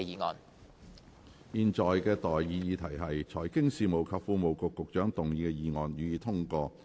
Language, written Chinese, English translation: Cantonese, 我現在向各位提出的待議議題是：財經事務及庫務局局長動議的議案，予以通過。, I now propose the question to you and that is That the motion moved by the Secretary for Financial Services and the Treasury be passed